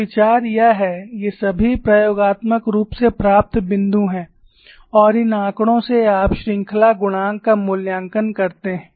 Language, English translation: Hindi, So, the idea is these are all the experimentally obtained points, and from these data you evaluate the series coefficients